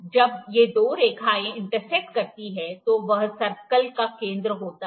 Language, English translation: Hindi, Now, where these two lines coincide is the center